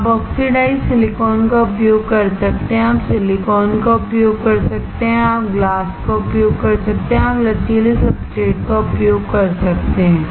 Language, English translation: Hindi, You can use oxidized silicon, you can use silicon, you can use glass, you can use flexible substrate